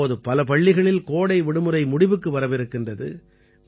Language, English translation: Tamil, Now summer vacations are about to end in many schools